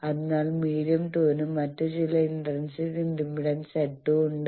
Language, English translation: Malayalam, So, medium 2 is having some other intrinsic impedance Z 2